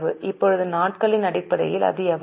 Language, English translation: Tamil, Now, in terms of days how much it is